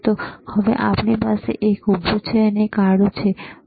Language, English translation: Gujarati, So now, we have the vertical, we have seen the horizontal